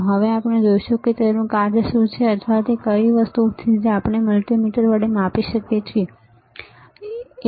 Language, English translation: Gujarati, Now, we will see what are the functions or what are the things that we can do with a multimeter, all right